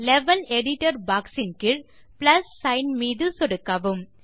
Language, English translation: Tamil, Now under the Level Editor box, click on the Plus sign